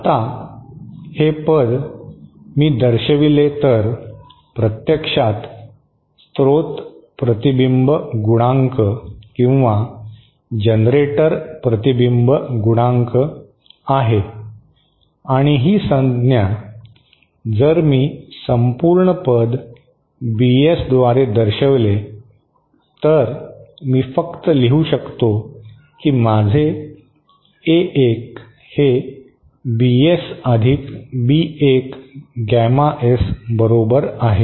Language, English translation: Marathi, Now, this term if I represented by, is actually the source reflection coefficient or generator reflection coefficient and this term, this whole term if I represent it by term BS, then I can simply write my A1 is equal to BS + B1 gamma S